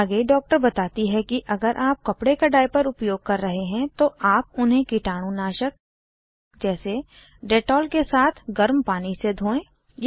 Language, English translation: Hindi, The doctor further explains that if you using cloth diapers, wash them in hot water with a disinfectant like dettol